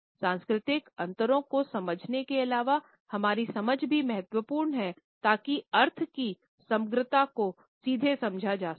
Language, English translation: Hindi, In addition to understanding the cultural differences our understanding of the context is also important so that the totality of the meaning can be directly understood